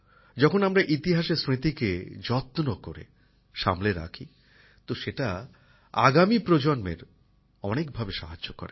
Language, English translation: Bengali, When we cherish the memories of history, it helps the coming generations a lot